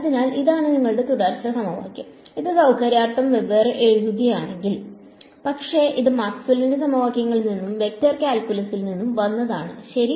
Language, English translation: Malayalam, So, this is your continuity equation right, it is just written separately just for convenience, but it just comes from Maxwell’s equations and vector calculus ok